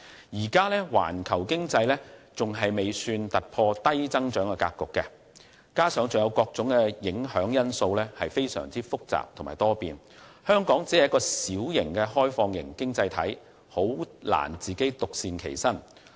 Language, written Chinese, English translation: Cantonese, 現時環球經濟尚未突破低增長格局，加上各種影響因素非常複雜且多變，香港作為小型開放式經濟體實在難以獨善其身。, At present the global economy has yet to break the low - growth cycle coupled with a wide range of pretty complex and varied factors it is difficult for Hong Kong being a small and externally - oriented economy to remain unaffected